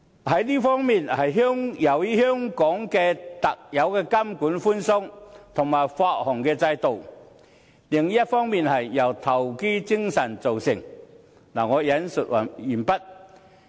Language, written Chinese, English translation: Cantonese, 這一方面是由於香港特有的監管寬鬆和發行制度，另一方面是由香港人的投機精神造就的。, They result from Hong Kongs uniquely loose systems of monitoring and share - issuance on the one hand and the speculative mentality of Hong Kong people on the other . End of quote